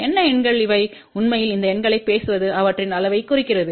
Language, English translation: Tamil, And what these numbers really say actually speaking these numbers signify their size